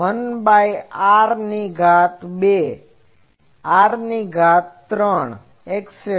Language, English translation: Gujarati, So, 1 by r to the power 2, r to the power 3 etc